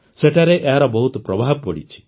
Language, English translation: Odia, It has had a great impact there